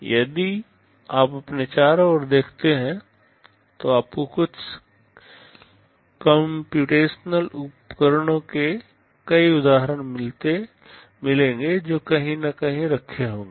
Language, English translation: Hindi, If you look around you, you will find several instances of some computational devices that will be sitting somewhere